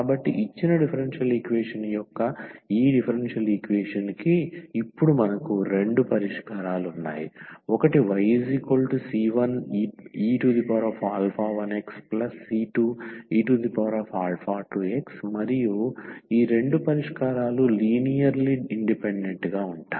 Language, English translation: Telugu, So, we have two solutions now of the given this differential equation of this given differential equation, we have two solution the one is y is equal to e power alpha 2 x another 1 is y is equal to e power alpha 1 x and these two solutions are linearly independent solutions